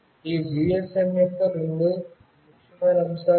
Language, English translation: Telugu, These are the two important aspect of this GSM